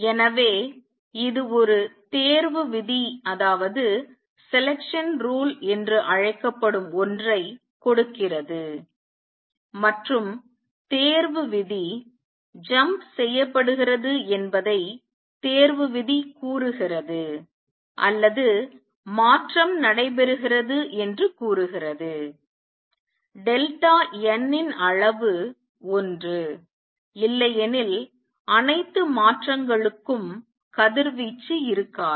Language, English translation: Tamil, So, this gives what is called a selection rule and that says selection rule says that the jump is made or the transition takes place for which delta n magnitude is one; otherwise for all of the transition there will be no radiation